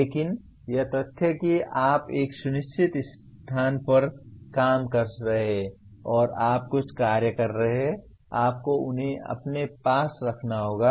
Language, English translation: Hindi, But the fact that you are working in a certain place and you are taking some actions, you have to own them